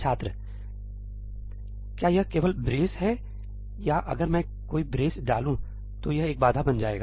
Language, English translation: Hindi, is it only that brace or if I put any brace, it will become a barrier